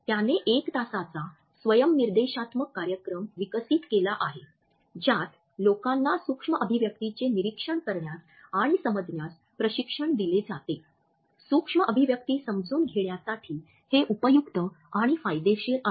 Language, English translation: Marathi, He had developed an one hour self instructional program that trains people to observe and understand micro expressions; whereas it is helpful and beneficial to be able to understand micro expressions